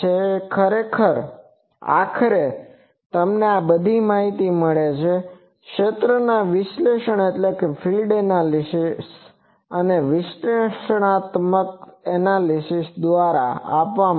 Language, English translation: Gujarati, So, ultimately you get all the informations that are given by the field analysis, analytic analysis